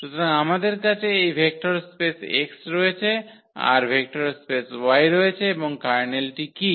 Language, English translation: Bengali, So, we have this vector space X we have this vector space Y and what is the kernel